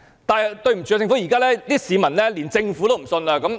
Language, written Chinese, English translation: Cantonese, 但是，對不起，市民現在連政府也不信任。, But I am sorry to say that people even have no trust in the Government these days